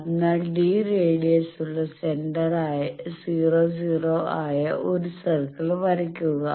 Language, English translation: Malayalam, So, that is where draw a circle of radius d with origin at 00